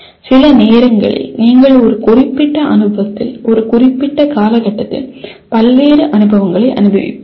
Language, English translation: Tamil, Sometimes you in a given experience you will go through various experiences in a limited period